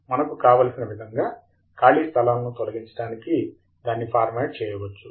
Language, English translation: Telugu, We could format it to remove any empty spaces as we wish to have